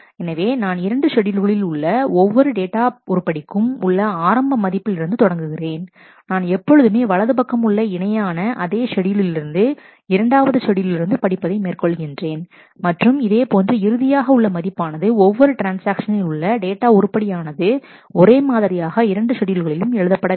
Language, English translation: Tamil, So, I always initialize start with the same initial values for every data item in both schedules, I always read from the corresponding right in the same schedule in the 2 schedules and, I must write the final in every transaction every data item must be written in the same way in the 2 schedules